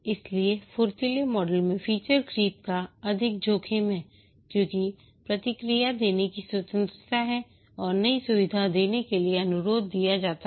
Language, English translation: Hindi, So, there is a higher risk of feature creep in the agile model because the freedom is given to give feedback and request for new features and so on